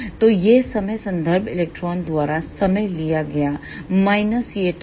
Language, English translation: Hindi, So, this time will be time taken by the reference electron minus this time